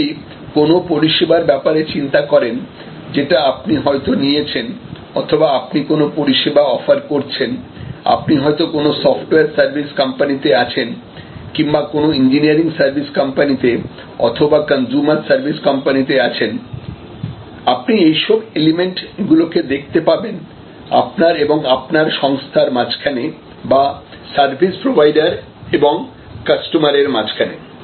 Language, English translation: Bengali, So, if you thing about any particular service that you have procured or any particular service that you might be offering, whether you have in a software service company or in an engineering service company or a consumer service company, you will be able to see all this elements apply between you or your organization is the service provider and the customer or the consumer